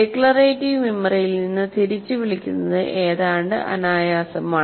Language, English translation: Malayalam, It is almost effortless to recall from the declarative memory